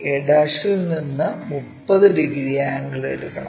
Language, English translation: Malayalam, We have to take 30 angle from a'